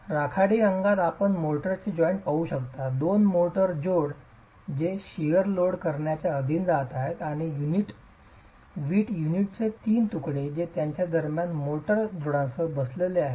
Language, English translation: Marathi, So, in grey you see the motor joints, the two motor joints which are going to be subjected to the shear loading and the three pieces of brick units that's sitting with the motor joints between them